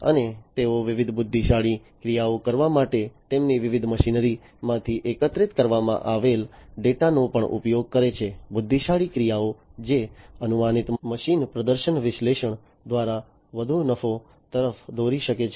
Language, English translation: Gujarati, And they also use the data that are collected from their different machinery for performing different intelligent actions; intelligent actions which can lead to higher profit by predictive machine performance analysis